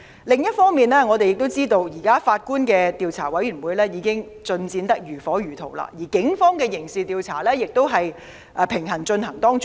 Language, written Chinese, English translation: Cantonese, 另一方面，我們也知道現時由法官領導的調查委員會的工作已進行得如火如荼，而警方的刑事調查亦平行地進行。, Meanwhile we also understand that the Commission presently chaired by the Judge is working at full steam and the Police are conducting a criminal investigation in tandem